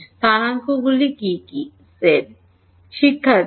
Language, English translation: Bengali, What are the coordinates